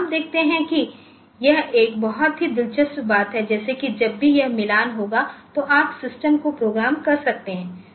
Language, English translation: Hindi, So, you see this is a very interesting thing, like if whenever this matching will occur, so you can program the system